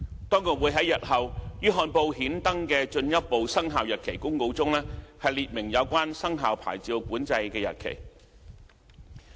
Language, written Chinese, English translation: Cantonese, 當局會在日後於憲報刊登的進一步生效日期公告中列明有關牌照管制的生效日期。, The Administration will set out the dates of commencement of the relevant licensing control in a further Commencement Notice to be gazetted later